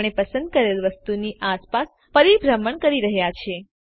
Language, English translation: Gujarati, We are orbiting around the selected object